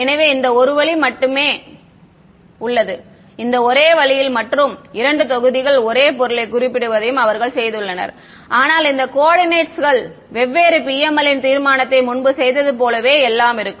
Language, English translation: Tamil, So, one this way and one this way and they have done it by specifying two blocks same material, but this coordinates are different PML resolution everything as before ok